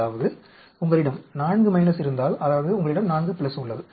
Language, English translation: Tamil, That means you have 4 minus, means you have 4 plus